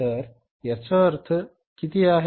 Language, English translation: Marathi, So, what is a difference